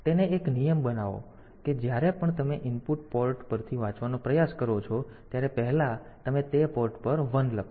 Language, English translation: Gujarati, So, make it a rule that whenever you are trying to read from an input port, first you write a 1 at that port